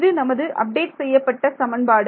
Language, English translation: Tamil, So, this is our update equation